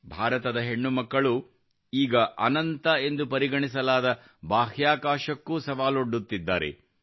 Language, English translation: Kannada, The daughters of India are now challenging even the Space which is considered infinite